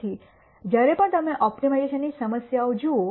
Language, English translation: Gujarati, So, whenever you look at an optimization problem